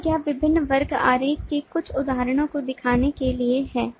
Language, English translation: Hindi, so this is just to show certain instances of different class diagram